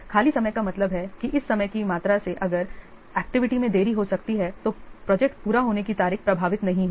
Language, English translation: Hindi, Free time means by this much amount of time if the activity can be delayed the project completion date will not be affected